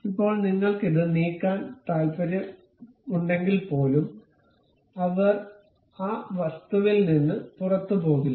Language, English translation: Malayalam, Now, even if you want to really move it, they would not move out of that object